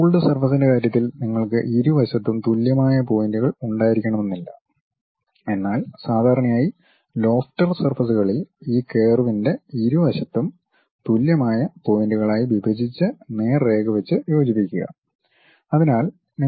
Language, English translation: Malayalam, In the case of ruled surfaces, it is not necessary that you will have equal number of points on both the sides, but usually for lofter surfaces you divide it equal number of points on both sides of this curve as and joined by straight lines